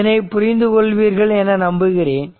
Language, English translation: Tamil, So, hope you have understood hope you are understanding this